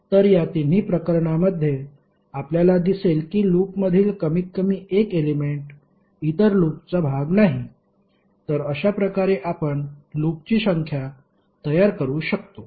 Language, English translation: Marathi, So in all the three cases you will see that at least one element in the loop is not part of other loop, So in that way you can create the number of loops